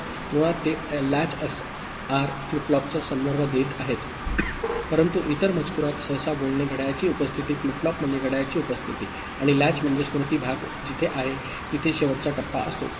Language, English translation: Marathi, So, basically they are referring to latch SR flip flop, but in other text, generally speaking, presence of clock flip flop means a presence of a clock, and latch means it is just the last stage of where the memory part is there, where the value is latched into, ok